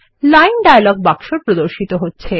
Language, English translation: Bengali, The Line dialog box appears